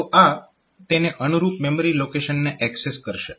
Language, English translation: Gujarati, So, it will be accessing the corresponding memory location